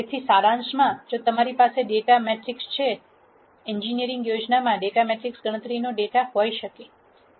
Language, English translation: Gujarati, So, in summary if you have a data matrix the data matrix could be data from census in an engineering plan